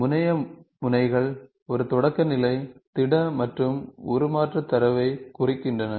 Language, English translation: Tamil, The terminal nodes represents a primitive solid and the transformation data